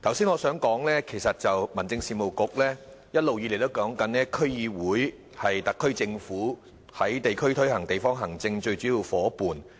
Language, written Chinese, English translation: Cantonese, 我剛才想說，民政事務局一直表示，區議會是特區政府在地區推行地方行政的最主要夥伴。, Just now I was saying all along the Home Affairs Bureau has indicated that DC is the major partner of the Special Administrative Region Government in implementing district administration